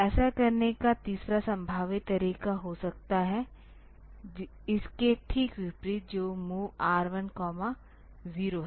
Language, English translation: Hindi, The third possible way of doing it may be; just the opposite that is move R 1